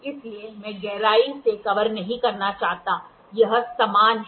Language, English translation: Hindi, So, I do not want to cover in depth much it is the same